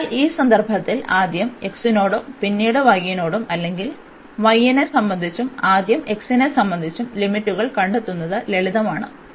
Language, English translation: Malayalam, So, in these cases finding the limits whether first with respect to x and then with respect to y or with respect to y first, and then with respect to x, in either way it is simple to get the limits